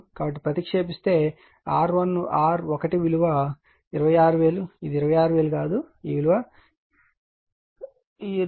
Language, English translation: Telugu, So, is substitute you will get this is the value of R 1 26000 not 26000 it is your what you call 261113